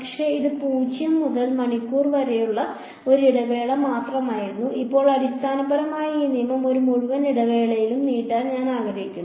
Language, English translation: Malayalam, But, this was for one interval only from 0 to h; now I want to basically just extend this rule over an entire interval ok